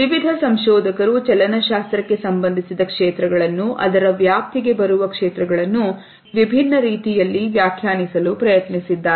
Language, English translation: Kannada, Various researchers have tried to define the fields associated with kinesics, fields which come under its purview in different ways